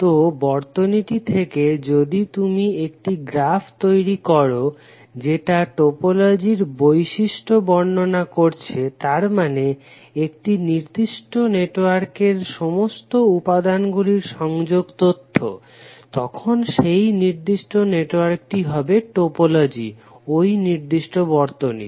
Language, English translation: Bengali, So from the circuit if you create a graph which describe the topological property that means the connectivity information of all the elements in a particular network, then that particular network will be the topology of that particular circuit